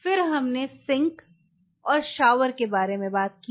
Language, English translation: Hindi, Then we talked about the sink and the shower